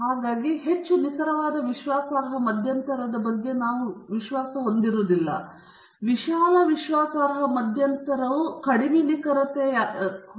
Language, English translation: Kannada, So, again we are not very confident about highly precise confidence interval, but very broad confidence interval is less precise, but there is more confidence attached to it